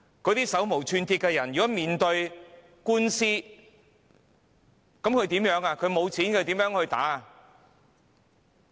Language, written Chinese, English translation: Cantonese, 那些手無寸鐵的人如果面對官司，應如何是好？, Why are the two not related? . If defenceless people have to face legal proceedings what should they do?